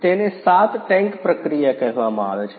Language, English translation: Gujarati, This is called 7 tank process